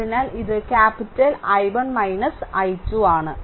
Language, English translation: Malayalam, This is capital I 2